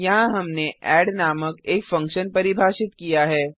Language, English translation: Hindi, Here we have defined a function called add